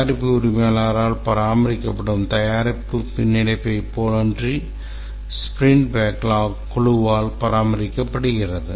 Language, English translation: Tamil, Unlike the product backlog which is maintained by the product owner, the sprint backlog is maintained by the team